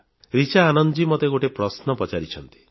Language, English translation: Odia, One Richa Anand Ji has sent me this question